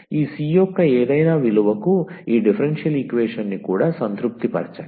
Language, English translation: Telugu, So, also satisfy this differential equation for any value of this c